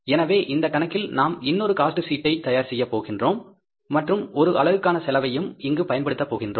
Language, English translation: Tamil, So, in this case, we are going to prepare another cost sheet and we are treating the per unit cost also, number of units or units